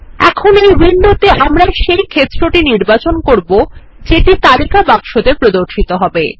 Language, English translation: Bengali, Now, in this window, we need to choose the field that will be displayed in the List box